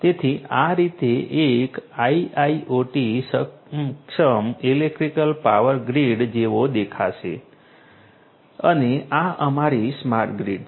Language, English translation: Gujarati, So, this is how a an IIoT enabled electrical power grid is going to look like and this is our smart grid